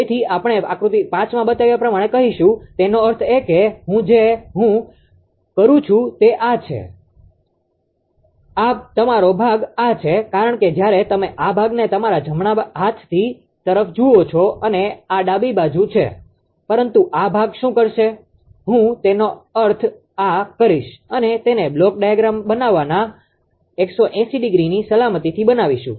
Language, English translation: Gujarati, So, we we do say as shown in figure 5; that means, here what we have what I am doing is this is your this portion as when you look into this thing this portion to your right hand side and this is to left hand side, but what will do this this portion will I mean this one we will make it 180 degree safety in ah making the block diagram